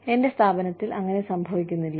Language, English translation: Malayalam, That does not happen in my organization